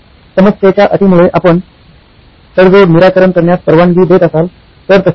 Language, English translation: Marathi, If the problem conditions allow you to go for a compromise solution, so be it